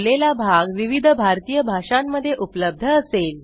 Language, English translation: Marathi, The spoken part will be available in various Indian Languages